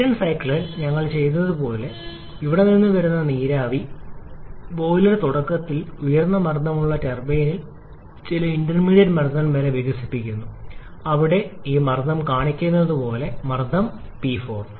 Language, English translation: Malayalam, Just like what we have done in the Brayton cycle here the steam that is coming from the boiler is initially expanded in a high pressure turbine up to some intermediate pressure level as shown by this pressure here the pressure P 4